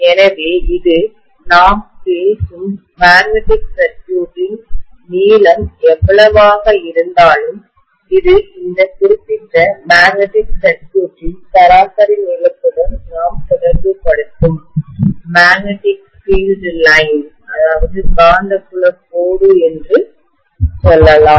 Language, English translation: Tamil, So this is going to cause whatever is the length of the magnetic circuit that we are talking about, that is let us say this is the magnetic field line that we are associating with this particular magnetic circuit average length